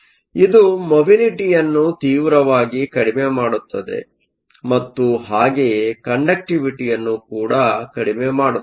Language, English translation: Kannada, So, this drastically brings down the mobility and hence the conductivity